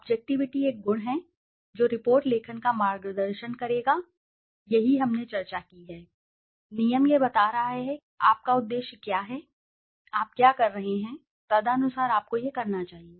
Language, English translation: Hindi, Objectivity is a virtue that would guide the report writing, that is what we discussed, the rule is tell it like it is, so what is your objective, what are you doing, accordingly you should be doing it